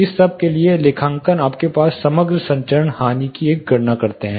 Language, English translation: Hindi, Accounting for all this you takes the composite transmission loss